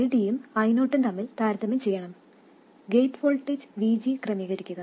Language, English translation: Malayalam, Compare ID with I0 and adjust the gate voltage VG